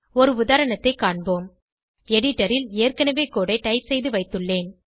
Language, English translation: Tamil, Let us look at an example I have already typed the code on the editor